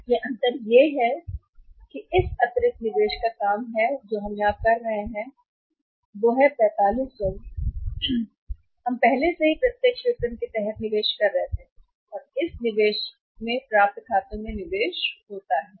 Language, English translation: Hindi, So, the difference comes out here is off work this additional investment which we are making here is that is of 45 4500 we are already investing under the direct marketing here this is the investment into the accounts receivable at this investment is there